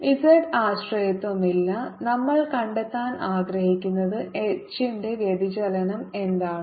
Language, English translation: Malayalam, there is no z dependence and what we want to find is what is divergence of h